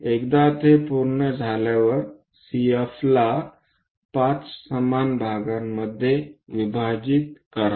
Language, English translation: Marathi, Once that is done divide CF into 5 equal parts